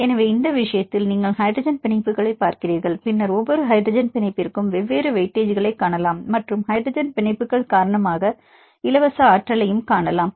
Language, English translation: Tamil, So, in this case you see the hydrogen bonds and then see different weightage to the each hydrogen bond and see the free energy due to the hydrogen bonds